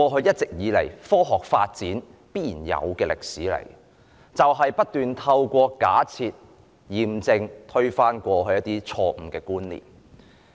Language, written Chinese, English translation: Cantonese, 一直以來，科學發展必然的歷史，就是不斷透過假設、驗證推翻過去錯誤的觀念。, Traditionally scientific development has always involved a history of using hypotheses and empirical tests continuously to refute previous wrong concepts